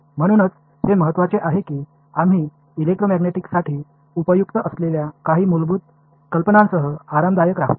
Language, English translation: Marathi, So, it is important that we become comfortable with some basic ideas that are useful for electromagnetics